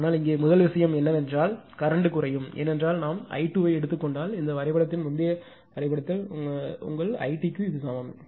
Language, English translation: Tamil, But here your first thing is that current will reduce because if we take I I 2 is equal to I d your what in this diagram previous diagram